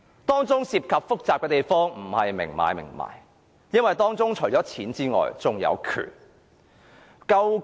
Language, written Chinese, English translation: Cantonese, 當中複雜的地方不是明買明賣，因為除了錢之外，還有權力。, It is more complicated because the relationship is no longer an explicit transaction . Aside from money it also involves power